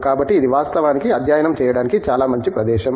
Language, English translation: Telugu, So, these actually are very, is a very good place to study